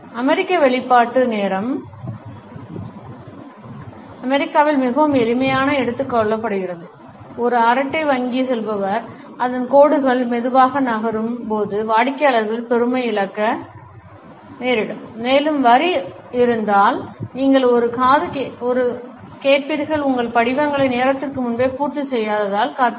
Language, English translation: Tamil, The American expression time is money can be taken very literally in the US, a chatty bank teller whose lines moving slowly will cause customers to become impatient and you will also get an earful if the line has to wait because you have not filled out your forms ahead of time